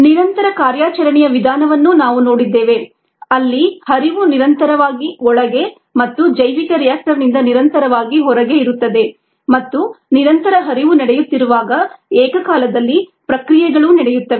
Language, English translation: Kannada, we also saw the continuous mode of operation where there is a continuous stream in and a continuous stream out of the bioreactor and the processes simultaneously take place